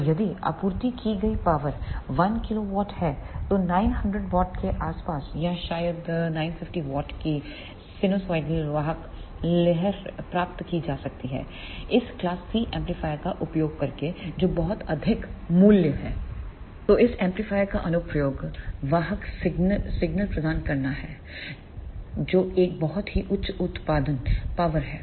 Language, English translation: Hindi, So, if the supplied power is around one kilowatt then the sinusoidal carrier wave of 900 watt or maybe 950 watt can be achieved using these class C amplifier which is very high value